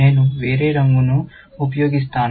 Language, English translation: Telugu, Let me use a different color